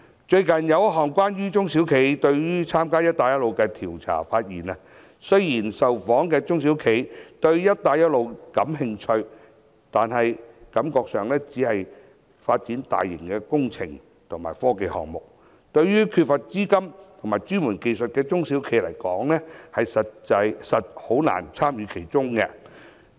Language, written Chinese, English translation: Cantonese, 最近有一項關於中小企對於參加"一帶一路"的調查，發現雖然受訪的中小企對於"一帶一路"感興趣，但感覺上涉及的都是大型的工程和科技項目，對於缺乏資金和專門技術的中小企來說，實在難以參與其中。, Recently a survey was conducted on SMEs participation in the Belt and Road Initiative . According to this survey though the responding SMEs are interested in the Belt and Road Initiative they do not think SMEs which lack capital and expertise can play a role in the Initiative since all the relevant projects involved are large engineering and technical projects